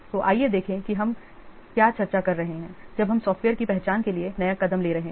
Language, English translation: Hindi, So, let's see, we are discussing now the steps for identifying the software